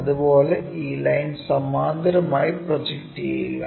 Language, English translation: Malayalam, Similarly, project these lines all the way parallel